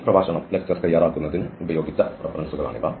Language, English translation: Malayalam, So, these are the references used for preparing this lecture and just to conclude